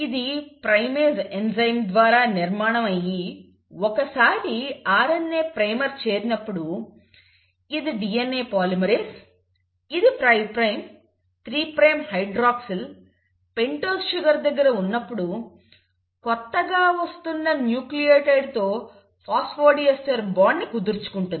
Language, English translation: Telugu, Now this is formed by the enzyme primase and once the RNA primer is there DNA polymerase, so this is 5 prime, so the 3 prime hydroxyl here is free, right, of the pentose sugar